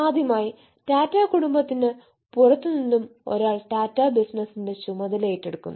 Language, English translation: Malayalam, for the first time, somebody out of tata family is taking charge of the tata business